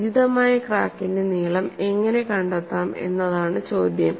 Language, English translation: Malayalam, So, the question is how to find out the extension of appropriate crack length